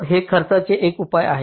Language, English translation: Marathi, it it's a measure of the cost